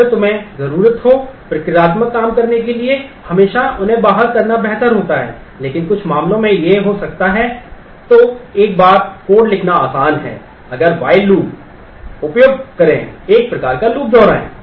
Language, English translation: Hindi, If you need to do procedural thing its always better to do them outside, but in some cases it may be easier to code a query if you can write a while, repeat kind of loop